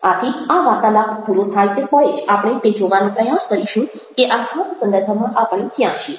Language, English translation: Gujarati, so the moment this talk is over, we will try to see where we are in this particular context